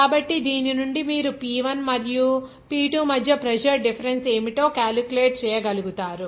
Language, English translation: Telugu, So, from which you will be able to calculate what should be the pressure difference between P1 and P2